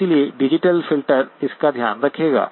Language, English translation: Hindi, So the digital filter will take care of that